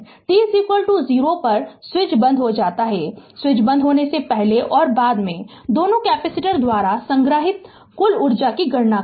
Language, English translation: Hindi, At t is equal to 0 the switch closes compute the total energy stored by both capacitor before and after the switch closes right